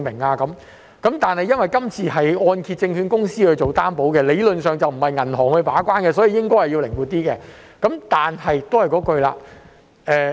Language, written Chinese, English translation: Cantonese, 這項計劃由香港按揭證券有限公司作擔保，理論上並非由銀行把關，所以應該靈活一點。, The scheme is guaranteed by the Hong Kong Mortgage Corporation Limited and it should in theory be flexible as banks are not the gate - keeper